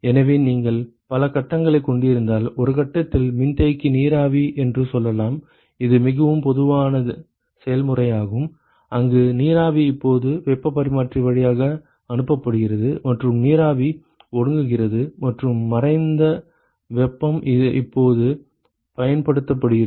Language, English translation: Tamil, So, remember that if you have multiple phases, let us say one of the phase is let us say condensing steam it is a very common process where steam is now passed through the heat exchanger and the steam condenses and the latent heat is now used to heat another fluid